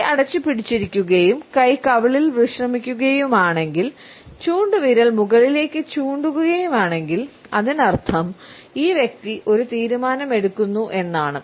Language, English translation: Malayalam, If the hand is closed and is resting on the cheek, often with the index finger pointing upwards; that means, that this person is making a decision